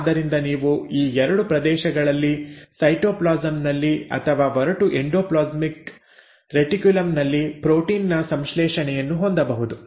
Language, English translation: Kannada, So you can have protein synthesis in either of these 2 areas, either in the cytoplasm or in the rough endoplasmic reticulum